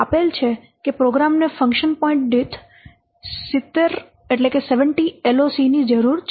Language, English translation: Gujarati, It said that the program needs 70 LOC per function point